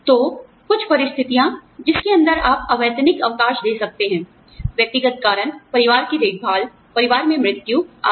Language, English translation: Hindi, So, some conditions that, you could give unpaid leave under, would be personal reasons, family care, death in the family, etcetera